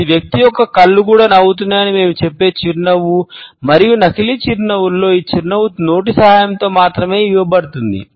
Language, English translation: Telugu, This is the smile in which we say that the person’s eyes were also smiling and in fake smiles we find that this smile is given only with the help of the mouth